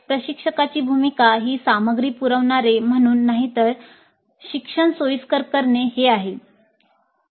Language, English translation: Marathi, Role of instructor is as a facilitator of learning and not as provider of content